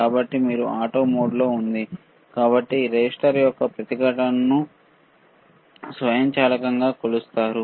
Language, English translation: Telugu, So, this is in auto mode so, it will automatically measure the resistance of the resistor, all right